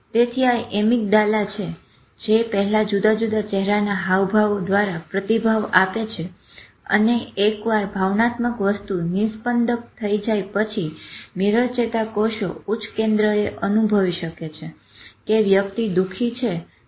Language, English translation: Gujarati, So it is the amygdala actually which responds to the different facial expressions first and then once the emotional thing has filtered then mirror neurons can feel it at a higher center that okay this person is sad